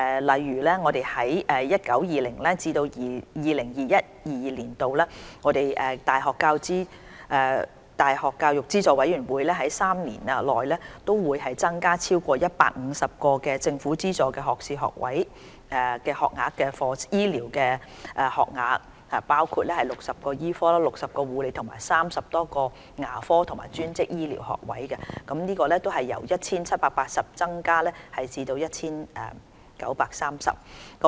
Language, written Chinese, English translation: Cantonese, 例如，在 2019-2020 年度至 2021-2022 年度大學教育資助委員會3年期內，將每年合共增加超過150個政府資助的學士學位醫療學額，當中包括60個醫科、60個護理和30多個牙科及專職醫療學科學位，由約 1,780 個增至約 1,930 個。, For instance in the 2019 - 2020 to 2021 - 2022 University Grants Committee triennium the number of health care - related publicly - funded first - degree intake places will increase by over 150 from about 1 780 to about 1 930 including 60 medical 60 nursing and 30 - odd dental physiotherapy and optometry places